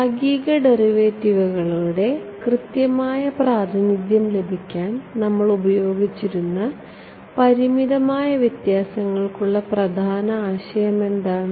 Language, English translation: Malayalam, What are the key concept for finite differences that we used to get accurate representations of the partial derivatives